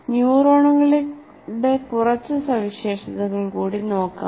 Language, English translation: Malayalam, Now let us look at a few more features of neurons